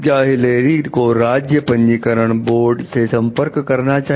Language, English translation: Hindi, Should Hilary consult the state registration board